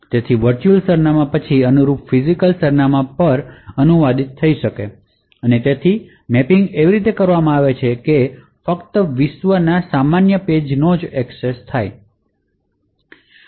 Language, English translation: Gujarati, So, the virtual address would then get translated to the corresponding physical address and therefore the mapping is done in such a way that it is only the normal world pages which can be accessed